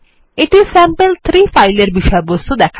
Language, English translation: Bengali, This is the content of sample3